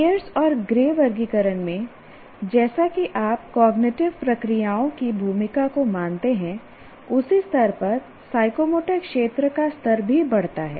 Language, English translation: Hindi, And here his Pearson Gray, what do you call, they recognize as you consider the role of cognitive processes, the level corresponding the level of psychomotor domain also increases